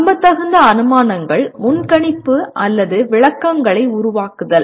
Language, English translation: Tamil, Making plausible inferences, prediction or interpretations